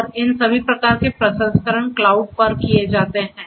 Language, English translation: Hindi, And all of these kinds of processing are done at the cloud